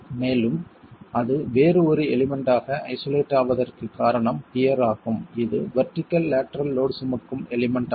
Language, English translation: Tamil, And the reason why it is isolated as a different element is a pier is a vertical lateral load carrying element